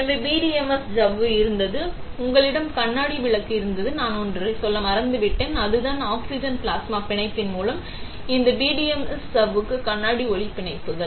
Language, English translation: Tamil, So, the PDMS membrane was there, you had a glass light; I forgot to tell one thing, is that how would is the glass light bonded to this PDMS membrane is through oxygen plasma bonding